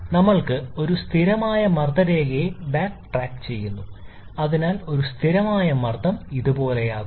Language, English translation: Malayalam, We backtrack a constant pressure line, so a constant pressure line will be somewhat like this